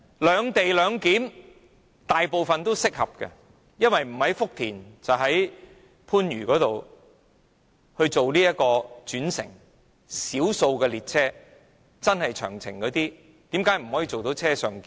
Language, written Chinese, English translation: Cantonese, "兩地兩檢"適用於大部分列車乘客，因為他們須在福田或番禺轉乘，而少數長途列車可以做到"車上檢"。, The separate - location model is applicable to most passengers as they need to interchange at Futian or Panyu and on - board clearance is feasible for a limited number of long - haul trains